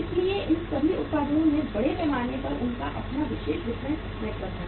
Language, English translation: Hindi, So all these products largely they have their own exclusive distribution network